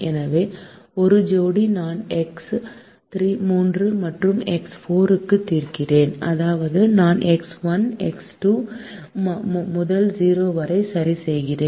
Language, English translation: Tamil, so when we solve for x three and x four, we are fixing x one and x two to zero